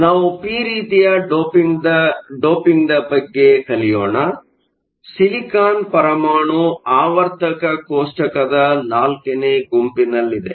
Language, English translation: Kannada, We look at p type doping; the silicon atom is located in group four of the periodic table